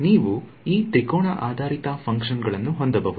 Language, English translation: Kannada, So, you can have these triangular basis functions